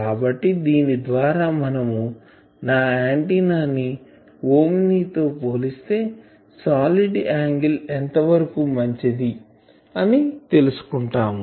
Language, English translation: Telugu, So, these gives an an idea that at this solid angle how much better my antenna is compared to an omni